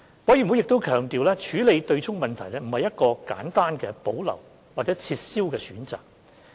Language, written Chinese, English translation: Cantonese, 委員會亦強調，處理對沖問題並不是一個簡單地"保留"或"撤銷"的選擇。, CoP also stressed that dealing with the question of offsetting does not simply boil down to a choice between retention or abolition